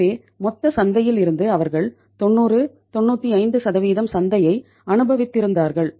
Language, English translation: Tamil, So it means out of the total market maybe they were enjoying 90, 95% market